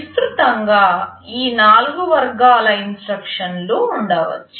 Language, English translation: Telugu, There can be broadly these 4 categories of instructions